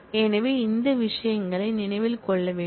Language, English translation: Tamil, So, these things will have to remember